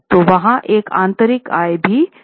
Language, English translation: Hindi, So there was an internal internal income